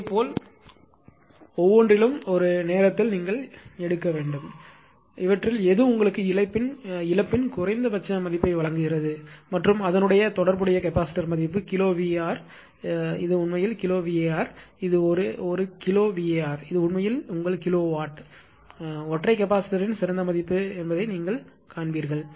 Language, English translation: Tamil, Similarly for each one and one at a time you have to take and you have to find out out of all this which one is giving you the minimum value of the loss and corresponding capacitance capacitor value kilowatt this is actually kilowatt, this is a kilowatt, and this is actually your kilowatt right you will find that which is the best value of the capacitor for single capacitor